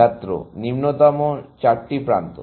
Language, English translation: Bengali, Lower shortest four edges